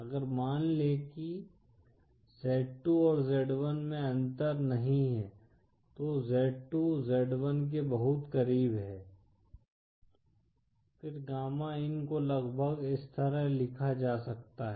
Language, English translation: Hindi, If suppose z2 & z1 are not that difference, z2 is very close to z1… Then gamma in can approximately be written as, like this